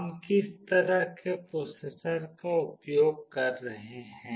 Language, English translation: Hindi, What kind of processor we are using